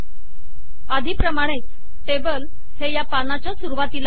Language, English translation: Marathi, So as before the table got placed at the top of this page